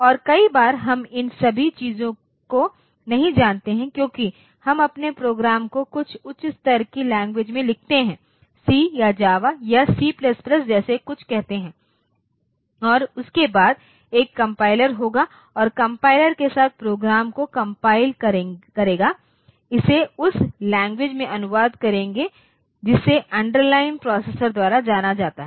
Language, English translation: Hindi, And many time, we do not know all these things because we write our programs in some high level language and then like say C or Java or C++ something like that and after that there will be a compiler with the compiler will compile the program and it will translate it into the language that is known by the underline processor